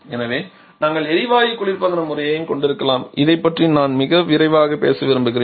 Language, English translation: Tamil, And they therefore we can also have the gas refrigeration system I should like to talk very quickly about this